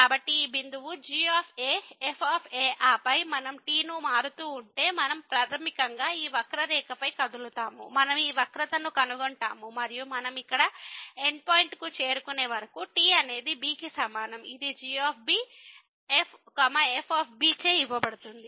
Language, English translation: Telugu, So, this point is , and then if we vary we will basically move on this curve we will trace this curve and till we reach the end point here, is equal to which is given by